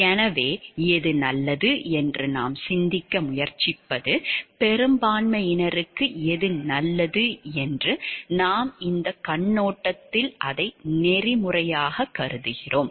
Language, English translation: Tamil, So, what we try to think is what is a good anything that we consider which is a good for the majority we take it to be ethical in this perspective